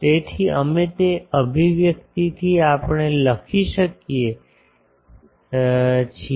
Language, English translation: Gujarati, So, we can from that expression we can write